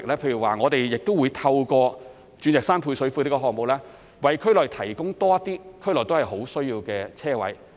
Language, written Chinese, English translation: Cantonese, 例如，我們會透過鑽石山配水庫項目，為區內提供更多有殷切需求的車位。, To give an example we will provide more much needed parking spaces in the district through the Diamond Hill Service Reservoirs project